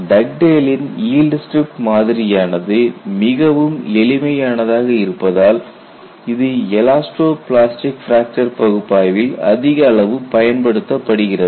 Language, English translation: Tamil, See if you really look at Dugdale's strip yield model, it is a very simple methodology, but it finds very good use in elasto plastic fracture analysis